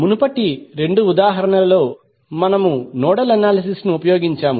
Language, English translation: Telugu, In the previous two examples, we used nodal analysis